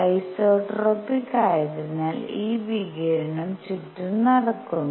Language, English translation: Malayalam, And this radiation is going all around because isotropic